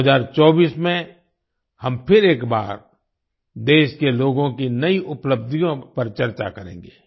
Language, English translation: Hindi, In 2024 we will once again discuss the new achievements of the people of the country